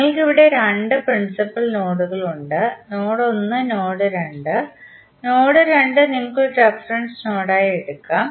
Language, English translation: Malayalam, You can see from here there are two principal nodes that is node 1 and node 2, node 2 you can take it as a reference node